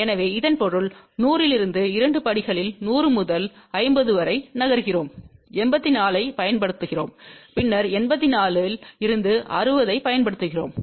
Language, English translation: Tamil, So that means, we are moving from 100 to 50 in two steps from 100, we use 84 and then from 84, we use 60 and then we went to 50 Ohm